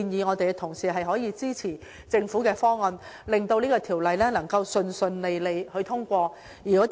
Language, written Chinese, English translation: Cantonese, 我亦呼籲同事支持政府的方案，令《條例草案》順利獲得通過。, I also urge colleagues to support the Governments amendments so that the Bill can be successfully passed